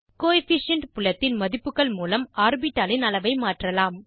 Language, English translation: Tamil, Using Coefficient field values, we can vary the size of the orbital